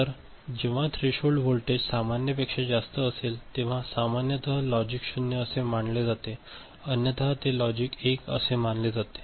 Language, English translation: Marathi, So, threshold voltage when it is higher than normal usually considered as logic 0 and otherwise it is considered as a logic 1 right